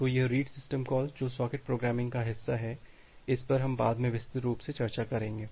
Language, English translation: Hindi, So, this read system call which is the part of the socket programming that we will discuss later on in details